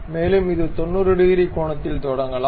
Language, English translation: Tamil, And it can begin at 90 degrees angle